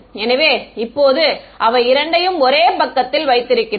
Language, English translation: Tamil, So, now we have them both on the same page